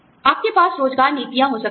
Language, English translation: Hindi, You could have employment policies